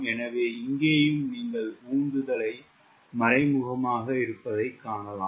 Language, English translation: Tamil, so here also, you could see, thrust is implicitly present